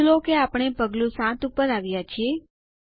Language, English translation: Gujarati, Please note that we have skipped to Step 7